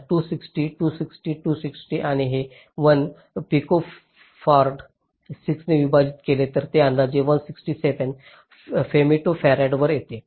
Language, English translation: Marathi, so two, sixty two, sixty two, sixty, and this one picofarad divide by six it comes to one sixty seven, femto farad approximately